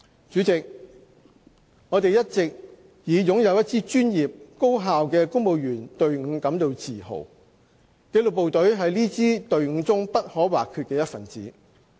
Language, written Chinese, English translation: Cantonese, 主席，我們一直以擁有一支專業、高效的公務員隊伍感到自豪。紀律部隊是這支隊伍中不可或缺的一分子。, President we have always been proud of our professional and effective civil service of which the disciplined forces are an integral part